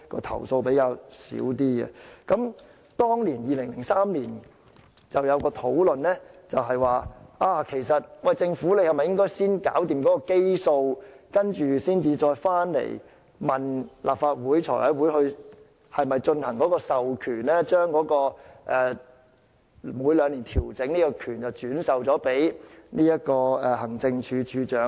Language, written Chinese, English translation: Cantonese, 當時在2003年的討論已向政府提出應否先解決基數，然後再回來向財委會提交授權的建議，即是否將每兩年作出調整的權力轉授給行政署長。, During the discussion in 2003 a proposal was made to the Government about whether the problem of the base should be resolved first and then the issue would be returned to the Finance Committee when the proposal of transfer of authority would be submitted that was whether the power to make biennial adjustments should be transferred to the Director of Administration